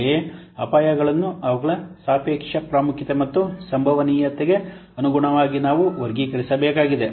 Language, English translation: Kannada, Then we have to classify by using the relative importance and the likelihood